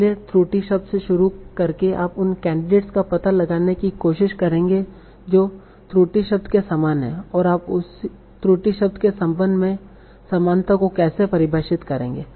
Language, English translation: Hindi, So starting from the error word you will try to find out candidates that are similar to the error word and how will you define the similarity with respect to the error word